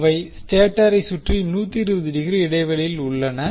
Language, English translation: Tamil, They are physically 120 degree apart around the stator